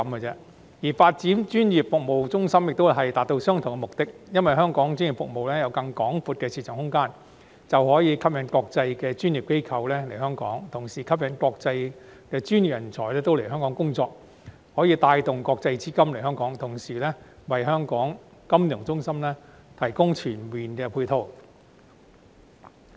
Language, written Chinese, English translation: Cantonese, 至於發展成為專業服務中心，亦是為了達到相同目的，因為只要香港專業服務有更廣闊的市場空間，便可吸引國際專業機構來港，同時吸引國際專業人才來港工作，並可帶動國際資金來港，為金融中心提供全面的配套。, The idea to develop the territory into a regional professional services hub seeks also to achieve the same objective because once an expanded market space is available for the development of our professional services international professional organizations as well as professional personnel will be attracted to Hong Kong and this will bring about an inflow of international capital thereby providing comprehensive support to our financial centre